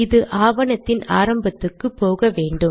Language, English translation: Tamil, Let me go to the end of the document